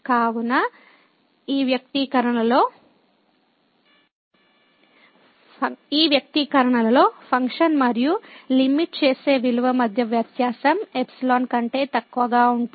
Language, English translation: Telugu, So, this expression the difference between the function and the limiting value is less than epsilon